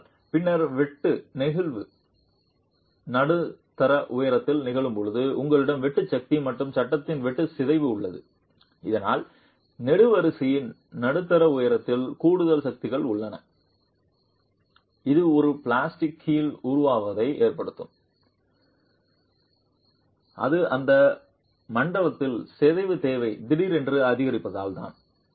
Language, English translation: Tamil, But then when shear sliding occurs at mid height then you have the shear force and the shear deformation of the panel causing at the mid height of the column itself additional forces which can cause the formation of a plastic hinge which is because of the sudden increase in deformation demand at that zone